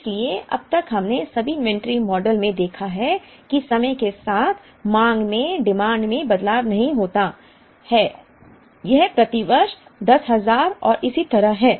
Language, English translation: Hindi, So, far we have seen in all the inventory models that the demand does not change with time it is the same 10,000 per year and so on